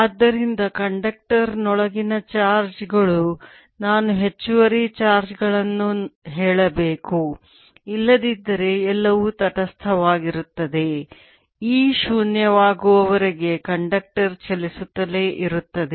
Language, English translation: Kannada, so charges inside a conductor i should say extra charges, because otherwise everything is neutral conductor will keep on moving until e becomes zero, because the charger mobile and therefore e inside a conductor will always be zero